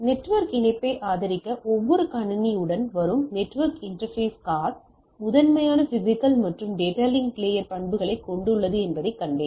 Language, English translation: Tamil, Also we have seen that we the network interface card which comes with every system to support the network connectivity is primarily have both physical and data link layer properties right